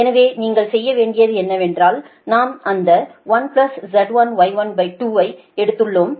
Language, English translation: Tamil, so what you have to do is that we have taken that one plus z dash, y dash upon two